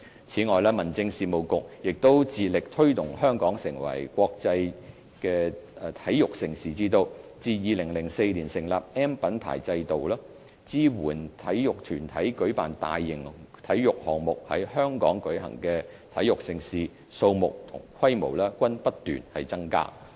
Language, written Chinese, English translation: Cantonese, 此外，民政事務局亦致力推動香港成為國際體育盛事之都，於2004年成立 "M" 品牌制度，支援體育團體舉辦大型體育項目，在香港舉行的體育盛事，數目和規模均不斷增加。, Besides the Home Affairs Bureau has all along been promoting Hong Kong as a prime destination for hosting major international sports events . In 2004 the M Mark System and Support Package was established with a view to helping national sports associations to organize major sports events in Hong Kong . The number and the scale of these major sports events have been increasing over the years